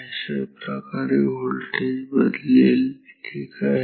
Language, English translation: Marathi, So, what is the voltage here